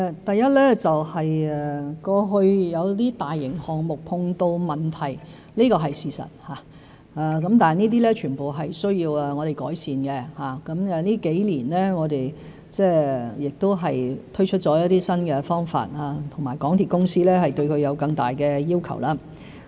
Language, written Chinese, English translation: Cantonese, 第一，過去有一些大型項目碰到問題，這是事實，全部都需要我們改善，我們這幾年推出了很多新方法，同時提高了對港鐵公司的要求。, In response to Mr CHANs first question as a matter of fact problems had arisen in some large - scale projects in the past . To address all these problems and make improvements we had introduced a number of new practices in the past few years while at the same time imposed higher requirements on MTRCL